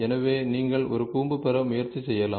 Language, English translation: Tamil, So, you can try to get a cone